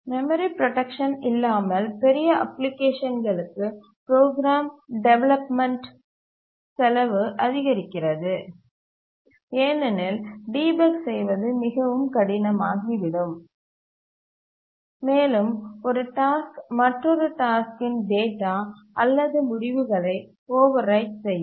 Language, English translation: Tamil, But then for larger application without memory protection, the cost of development of the program increases because debugging becomes very hard, one task can overwrite the data or the code of another task